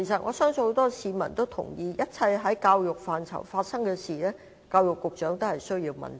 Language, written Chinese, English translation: Cantonese, 我相信很多市民都同意，一切在教育範疇內的事，教育局局長均須問責。, I believe many people agree that the Secretary for Education should be held responsible for everything within the scope of education